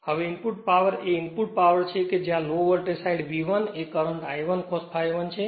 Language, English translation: Gujarati, Now, input power is input that low voltage side V 1 current is I 1 cos phi 1